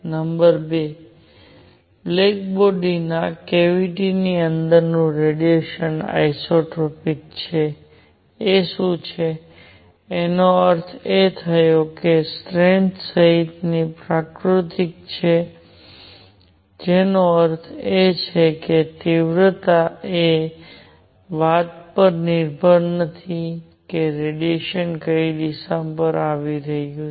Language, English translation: Gujarati, Number 2; the radiation inside a black body cavity is isotropic what; that means, is nature including strength; that means, intensity does not depend on which direction radiation is coming from